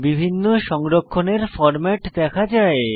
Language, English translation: Bengali, Various save formats are seen